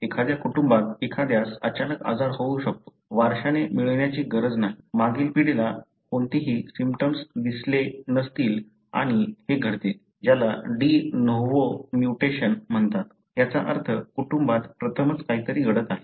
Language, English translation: Marathi, You may have a disease all of a sudden in a family, need not be inherited; the previous generation may not have had any symptoms and this happens, because of what is called as de novo mutation, meaning, something happening for the first time in a family